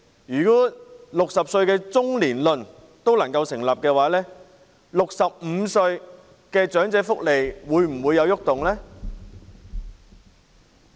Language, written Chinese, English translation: Cantonese, 如果 "60 歲中年論"成立 ，65 歲的長者的福利又會否有所改動呢？, If the saying that 60 years old is being middle - aged holds water will there be any changes in the welfare benefits receivable by elderly people aged 65?